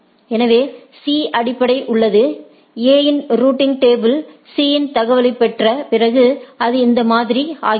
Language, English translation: Tamil, So, the C is so, the A’s table, A’s routing table after receiving the information from C it becomes like this right